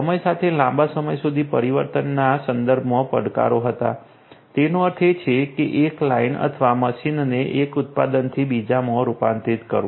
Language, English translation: Gujarati, There were challenges with respect to longer change over time; that means, converting a line or machine from running one product to another